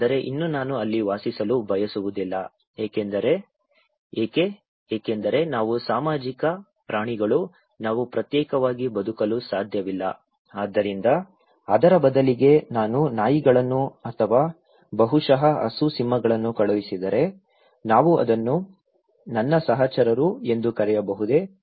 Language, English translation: Kannada, But still I do not want to live there because why; because we are social animals, we cannot live in isolation so, if instead of that, I send dogs or maybe cow, lion, can we call it kind of they are my companions, I can stay with them, am I social now; basically, no